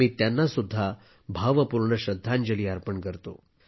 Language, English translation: Marathi, I also pay my heartfelt tribute to her